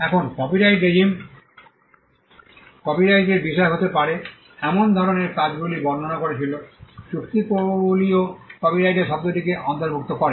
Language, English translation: Bengali, Now, the copyright regime described the kind of works that can be subject matter of copyright, the treaties also covered the term of copyright